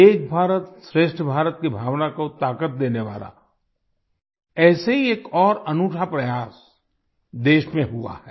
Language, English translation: Hindi, Another such unique effort to give strength to the spirit of Ek Bharat, Shrestha Bharat has taken place in the country